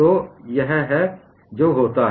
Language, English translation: Hindi, So, this is what happens